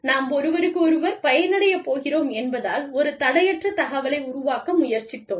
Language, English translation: Tamil, We tried to create, a free flow of information, because, we are going to benefit from, each other